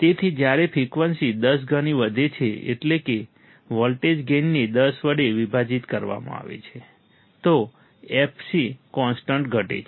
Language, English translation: Gujarati, So, when the frequency is increased tenfold, that is the voltage gain is divided by 10, then the fc is decreased at the constant